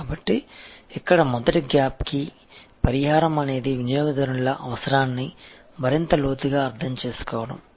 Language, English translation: Telugu, So, here the first gap, the remedy is understanding the customers need in greater depth